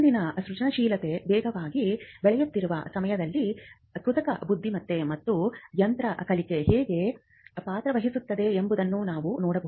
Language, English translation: Kannada, In today’s rapidly evolving landscape of creativity, we can see how artificial intelligence and machine learning plays a role